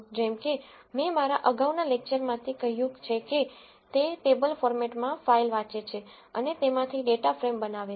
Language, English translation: Gujarati, Like I said from my earlier lecture it reads a file in table format and creates a data frame from it